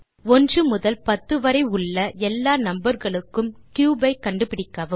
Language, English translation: Tamil, Find the cube of all the numbers from one to ten